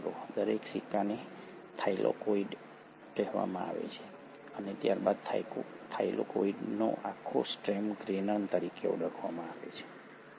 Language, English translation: Gujarati, Each coin will be called as the Thylakoid and then the entire stack of Thylakoid will be called as the Granum